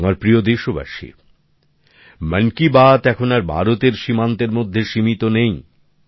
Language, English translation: Bengali, 'Mann Ki Baat' is no longer confined to the borders of India